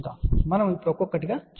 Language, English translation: Telugu, So, we will just go through one by one now